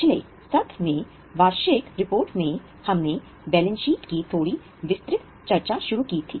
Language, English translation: Hindi, In the last session we had started a little detailed discussion of balance sheet